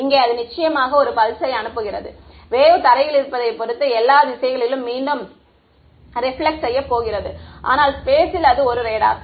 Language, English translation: Tamil, Here it sends a pulse of course, the wave is going to get reflected back in all directions depending on what is on the ground, but it is a radar in space